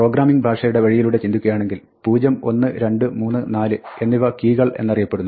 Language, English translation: Malayalam, So, the program language way of thinking about this is that 0, 1, 2, 3, 4 are what are called keys